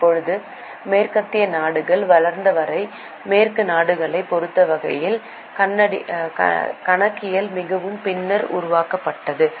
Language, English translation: Tamil, Now as far as the Western countries are developed, Western countries are concerned, the accounting developed much later